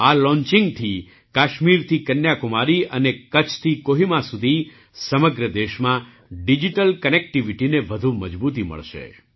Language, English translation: Gujarati, With this launching, from Kashmir to Kanyakumari and from Kutch to Kohima, in the whole country, digital connectivity will be further strengthened